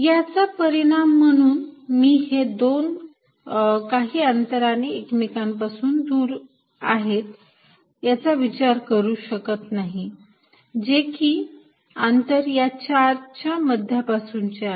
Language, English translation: Marathi, As a result I cannot really think of them being separated by distance which is the distance between the centers of this charge